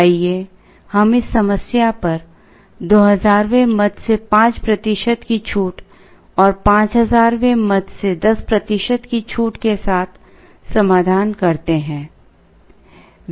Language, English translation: Hindi, Let us work out this problem with marginal quantity discount of 5 percent from the 2000th item and 10 percent from the 5000th item